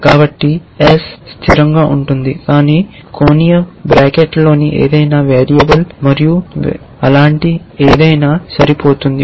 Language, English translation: Telugu, So, ace is a constant, but anything within angular bracket is a variable and the variable is which will match anything essentially